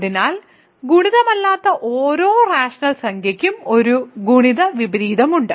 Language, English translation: Malayalam, So, multiplicative every non zero rational number has a multiplicative inverse